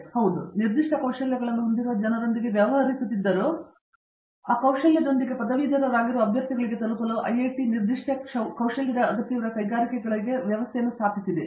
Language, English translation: Kannada, So yes, we are dealing with people with specific skills, but IIT has set up mechanism for industries needing specific skills to reach out to the candidates who are graduating with those skills